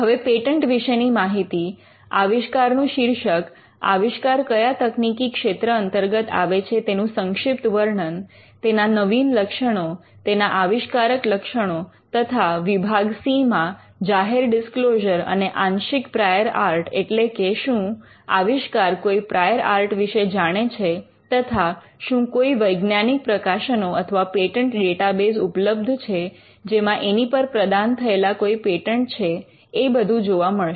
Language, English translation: Gujarati, Now, information about the patent title of the invention, which technical field the invention belongs to brief description, the novel feature the, inventive feature and part C, public disclosure and part prior art, whether the invention knows some prior art and and you will find that, whether there are scientific publications or patent databases whether they there are granted patents on it